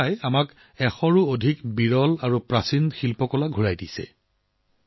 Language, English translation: Assamese, America has returned to us more than a hundred rare and ancient artefacts